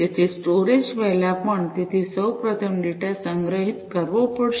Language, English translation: Gujarati, So, even before the storage so, first of all you know, the data will have to be stored